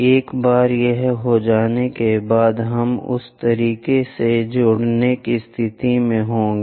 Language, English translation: Hindi, Once it is done, we will be in a position to join in that way